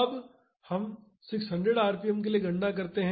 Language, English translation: Hindi, Now, let us calculate for 600 rpm